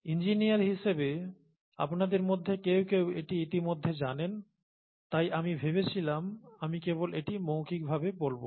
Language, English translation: Bengali, As engineers, some of you would know this already I just thought I will verbalise this clearly